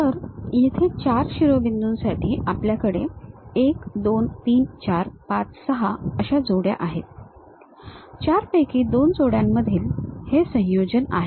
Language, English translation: Marathi, So, here for four vertices, we have a combination like 1 2 3 4 5 6 combinations we have; is a combination in between two pairs from out of 4 we have to construct